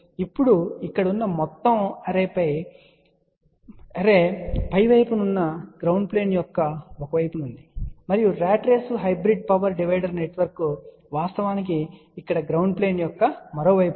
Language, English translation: Telugu, Now the entire array here is on one side of the ground plane which is on the above side, and the ratrace hybrid power divider network is actually speaking on the other side of the ground plane here